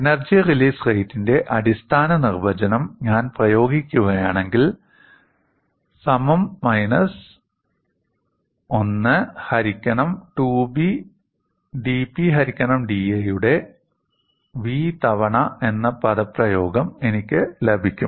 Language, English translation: Malayalam, If I apply the basic definition of energy release rate, I get the expression as G equal to minus 1 by 2B v times dP by da